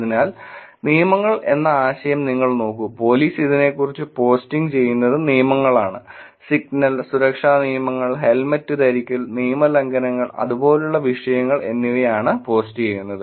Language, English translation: Malayalam, So you look at the concept of rules people, police posting about these are the rules do not cut the signal, safety rules, wear helmet, violations and topics like that